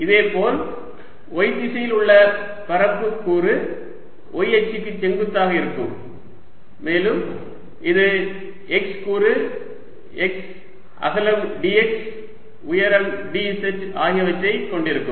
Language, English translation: Tamil, similarly, the area element in the y direction is going to be perpendicular to the y axis and its going to have the x element, x width, d x, height, d, z and therefore in that direction, d